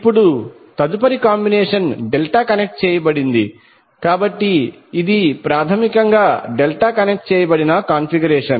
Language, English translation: Telugu, Now next combination is delta connected, so this is basically the delta connected configuration